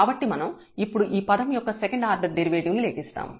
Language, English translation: Telugu, So, we will compute now the second order derivative of this term